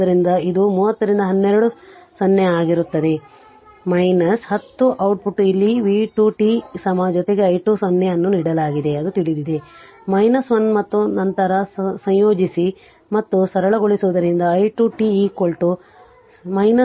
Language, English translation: Kannada, So, it is it will be 30 by twelve 0 to t e to the power minus 10 t you put here v 2 t is equal to right plus your i 2 0 is given known it is minus 1 and then you integrate and simplify you will get i 2 t is equal to minus of 0